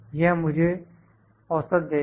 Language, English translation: Hindi, It will give me the average